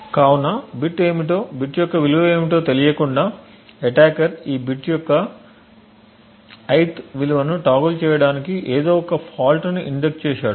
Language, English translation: Telugu, So without knowing the bit what the value of the bit is the attacker has somehow injected a fault to toggle the ith value of this bit